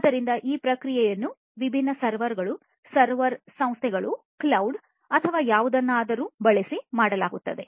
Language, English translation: Kannada, So, this processing will be done using different servers, server firms, cloud or, whatever